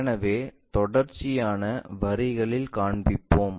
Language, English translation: Tamil, So, continuous lines we will show